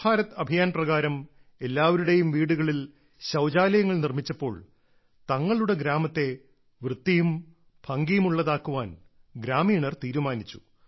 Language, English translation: Malayalam, Under the Swachh Bharat Abhiyan, after toilets were built in everyone's homes, the villagers thought why not make the village clean as well as beautiful